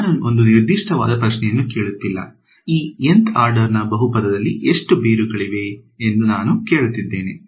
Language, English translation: Kannada, I am not asking a very specific question ok, I am just saying how many roots will there be of this Nth order polynomial